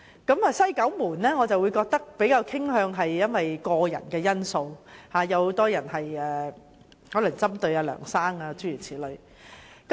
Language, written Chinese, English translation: Cantonese, 至於"西九門事件"的調查，則比較傾向個人的因素，有很多人可能是針對梁先生。, As regards the West Kowloon - gate incident the investigation tended to focus more on personal factors as many people might just want to pinpoint Mr LEUNG